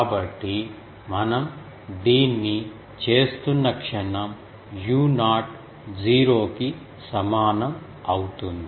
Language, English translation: Telugu, So, the moment we do this we are getting u 0 is equal to 0